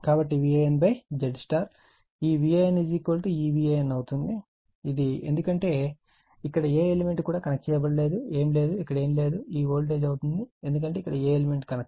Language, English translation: Telugu, So, V AN upon V Z this V AN is equal to this V AN is equal to nothing is there, here which is simply r nothing is there is equal to your C small an this one, this voltage it becomes because no element is connected here